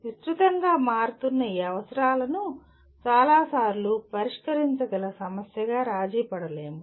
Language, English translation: Telugu, And many times this widely varying needs cannot be compromised into a solvable problem